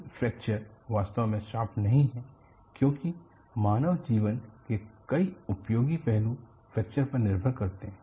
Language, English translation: Hindi, Fracture, as such is not a bane as many useful aspects of human living depend on fracture